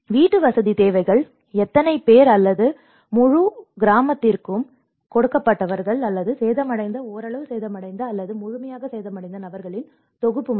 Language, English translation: Tamil, Housing needs, how many people or given for the whole village or only a set of people who got damaged, partially damaged, or fully damaged